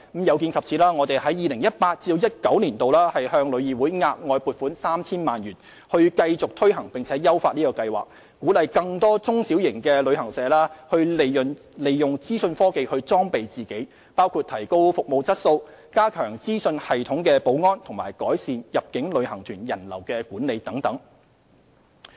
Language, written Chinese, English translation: Cantonese, 有見及此，我們在 2018-2019 年度向旅議會額外撥款 3,000 萬元，以繼續推行並優化計劃，鼓勵更多中小型旅行社利用資訊科技裝備自己，包括提高服務質素、加強資訊系統保安，以及改善入境旅行團人流管理等。, In view of this we will earmark an additional 30 million in the 2018 - 2019 fiscal year to further take forward and enhance the Scheme to incentivize more small and medium travel agents to make use of information technology to equip themselves including enhancing the quality of services beefing up information system security improving visitor flow control for inbound tour groups and so on